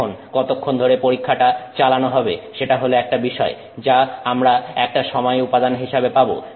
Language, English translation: Bengali, Now, how long the test is carried out is something that we will get as a time element, right